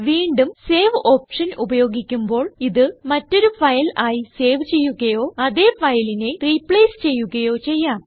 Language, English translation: Malayalam, Again as we use the Save option, we can either save it as a different file or replace the same file